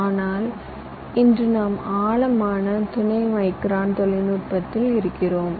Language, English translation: Tamil, but today we are into deep sub micron technology